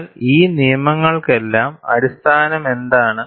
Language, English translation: Malayalam, But for all these laws, what is the basis